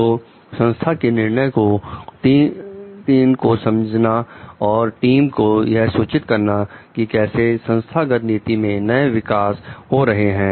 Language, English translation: Hindi, So, explaining company decisions to the team and inform the team about how the new developments in the organizational policy